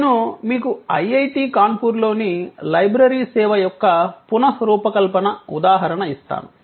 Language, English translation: Telugu, I will give you an example of the redesigning of the library service at IIT, Kanpur